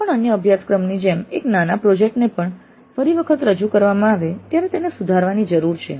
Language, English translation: Gujarati, Like any other course a mini project also needs to be improved next time it is offered